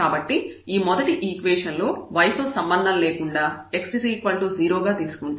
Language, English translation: Telugu, So, from this first equation if we take x is equal to 0 irrespective of y there this f x will be 0